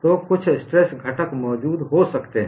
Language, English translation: Hindi, So, some stress component may exist